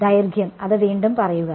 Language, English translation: Malayalam, The length say that again